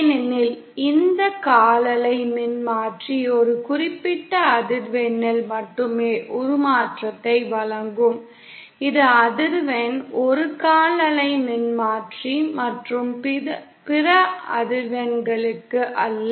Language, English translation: Tamil, Because this quarter wave transformer will provide the transformation only at a particular frequency, the frequency for which it is a quarter wave transformer and not for other frequencies